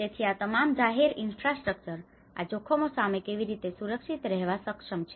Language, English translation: Gujarati, So all this public infrastructure, how they are able to protect against these hazards